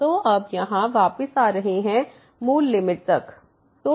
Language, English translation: Hindi, So, here now getting back to the original limit